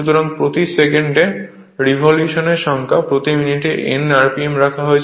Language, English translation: Bengali, So, number of revolutions per second because we have taken speed rpm revolution per minute